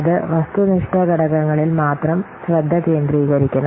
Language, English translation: Malayalam, It should only concentrate on the objective factors